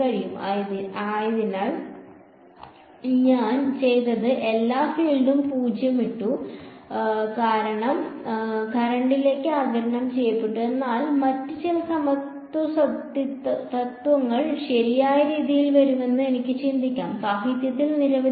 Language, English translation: Malayalam, So, what I did I put all the field 0 and everything was absorbed into the current, but I can think of some other contribution will come up with some other equivalence principle right and there are several in the literature